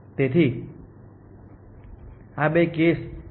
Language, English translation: Gujarati, So, these are the two cases